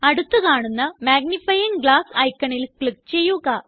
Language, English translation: Malayalam, Click the magnifying glass icon that is next to it